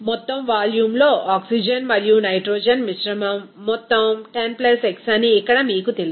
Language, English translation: Telugu, Here you know the total amount of oxygen and nitrogen mixture out of total volume is 10 + x there